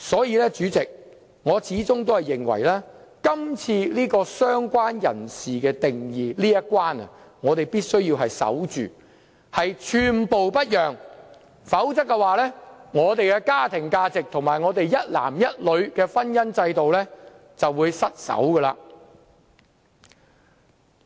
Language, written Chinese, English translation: Cantonese, 因此，主席，我始終認為在"相關人士"的定義這一關，我們必須守住，寸步不讓，否則我們的家庭價值及一男一女的婚姻制度便會失守。, Hence Chairman I have all along considered the definition of related person a gate we must guard against and should not budge an inch . Or else we will lose ground in defending our family values and the institution of marriage of one man with one woman